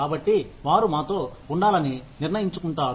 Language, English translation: Telugu, So, that they decide to stay with us